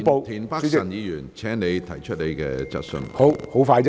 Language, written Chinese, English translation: Cantonese, 田北辰議員，請提出你的補充質詢。, Mr Michael TIEN please raise your supplementary question